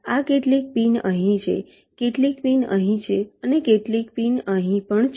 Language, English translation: Gujarati, this is: some pins are here, some pins are here and some pins are also here